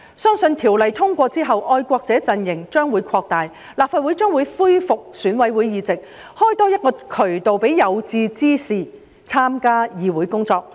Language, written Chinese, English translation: Cantonese, 相信《條例草案》通過之後，愛國者陣型將會擴大，立法會將會恢復選委會界別議席，多開一個渠道讓有志之士參加議會工作。, I believe that upon the passage of the Bill the patriotic camp will expand . The seats in the Legislative Council to be returned by the EC constituency ECC will provide an additional channel for aspiring candidates to take part in the work of the legislature